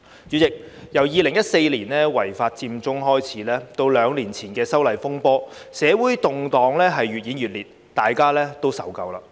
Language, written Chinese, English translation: Cantonese, 主席，由2014年違法佔中開始，至兩年前的修例風波，社會動盪越演越烈，大家都受夠了。, President from the illegal Occupy Central in 2014 to the controversy over a legislative amendment exercise two years ago we have all been fed up with escalating social unrest